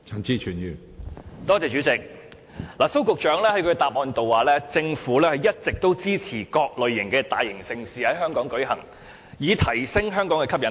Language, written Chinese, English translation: Cantonese, 主席，蘇局長在主體答覆中表示，政府一直支持各類大型盛事在香港舉行，以提升香港的吸引力。, President in his main reply Secretary Gregory SO said the Government has all along supported the launching of various major events in Hong Kong so as to enhance its appeal